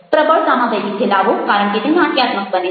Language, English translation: Gujarati, vary the volume because it becomes dramatic